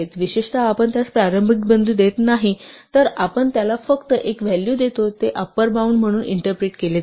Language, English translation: Marathi, In particular, if we do not give it a starting point we just give it one value it is interpreted as an upper bound